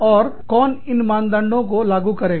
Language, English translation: Hindi, And, who will implement, these standards